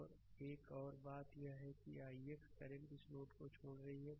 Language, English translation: Hindi, And another another thing is that i x current leaving this node